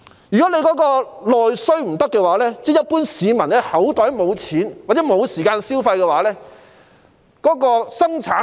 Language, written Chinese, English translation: Cantonese, 如果沒有內需，即一般市民口袋裏沒有錢或沒有時間消費，便無法催谷生產。, Without domestic demand meaning no consumption due to a lack of money in peoples pockets or time it will be impossible to boost production